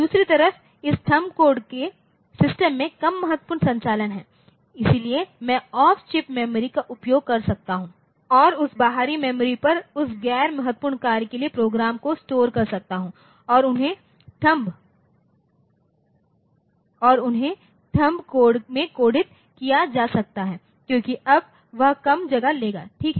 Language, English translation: Hindi, On the other end this THUMB code so, there are less important operations of the system, so, I can use off chip memory and so, the and store the program for that non critical tasks onto that external memory and this they can be coded in the THUMB code because now, that will take less space, ok